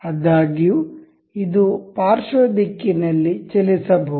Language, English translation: Kannada, However, this can move in the lateral direction